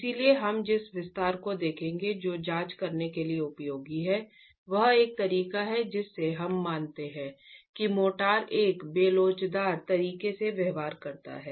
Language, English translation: Hindi, So, the extension that we will look at which is useful to examine is one way we consider that the motor behaves in an inelastic manner